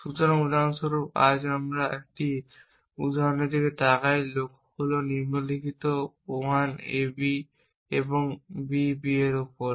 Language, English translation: Bengali, So, for example, today we look at an example may goal is the following 1 A B and on B B